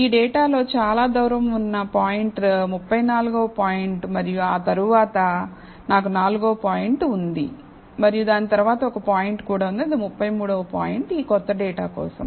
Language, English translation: Telugu, So, the farthest point in this data is the 34th point and after that I have the 4th point and followed by that, there is also one point on the line, which is the 33rd point, for this new data